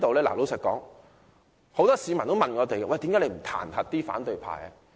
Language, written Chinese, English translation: Cantonese, 事實上，很多市民都問我們為何不彈劾反對派。, In fact many members of the public have asked us why we do not impeach these opposition Members